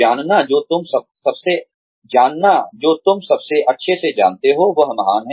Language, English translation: Hindi, Knowing, what you know best, is great